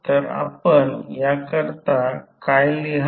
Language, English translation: Marathi, So, what you will write for this